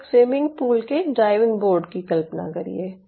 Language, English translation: Hindi, imagine a diving board of a swimming pool